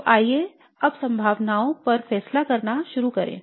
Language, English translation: Hindi, So let's now start ruling out the possibilities